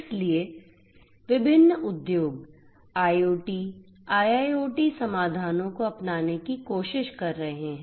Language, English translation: Hindi, So, different industries are trying to adopt IoT, IIoT solutions